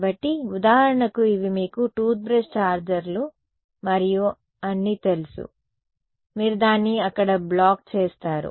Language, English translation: Telugu, So, for example, these you know toothbrush chargers and all, you would block it over there